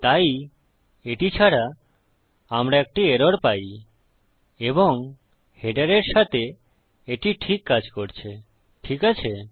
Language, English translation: Bengali, So without this we get an error and with this our header works fine, okay